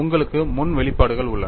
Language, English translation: Tamil, You have the expressions before you